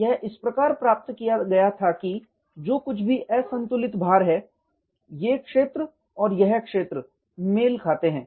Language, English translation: Hindi, It was obtain such that whatever is the unbalance load, this area and this area matches